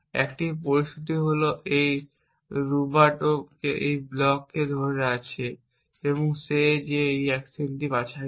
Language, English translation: Bengali, A situation is that this rubato is holding this block K that say it pick this action